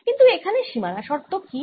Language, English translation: Bengali, what is the boundary condition here